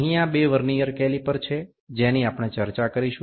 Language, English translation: Gujarati, So, these are the two Vernier calipers that we will discuss